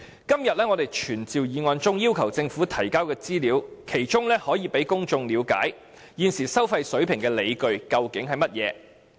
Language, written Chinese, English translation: Cantonese, 今天的傳召議案中要求政府提交的資料，可讓公眾了解現時收費水平的理據為何。, The information that todays summoning motion requires the Government to provide will let the public know the grounds for the current toll levels